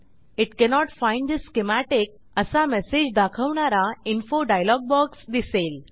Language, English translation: Marathi, An Info dialog box will appear saying it cannot find the schematic